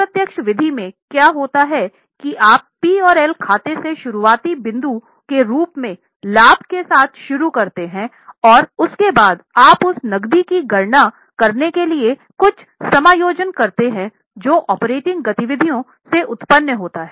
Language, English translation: Hindi, In indirect method what happens is you start with profit as a starting point from P&L account and then you make certain adjustments to calculate the cash which is generated from operating activities